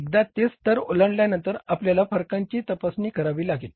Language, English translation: Marathi, Once it crosses that level we will have to investigate the variances